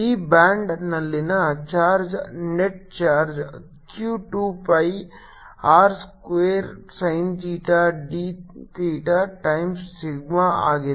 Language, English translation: Kannada, the charge on this band, net charge q is two pi r square, sin theta, d theta times, sigma, and this charge is going around